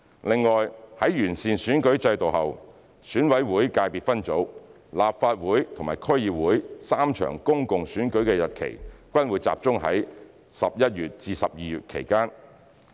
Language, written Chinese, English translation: Cantonese, 另外，在完善選舉制度後，選委會界別分組、立法會和區議會3場公共選舉的日期均會集中在11月至12月期間。, In addition after the electoral system has been improved the three public elections of ECSS the Legislative Council and DCs will all be held in the vicinity of November and December